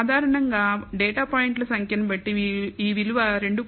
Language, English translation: Telugu, In general, depending on of number of data points this value 2